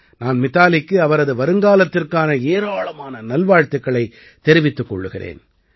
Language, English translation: Tamil, I wish Mithali all the very best for her future